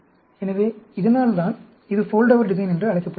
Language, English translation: Tamil, That is why it is called a Foldover design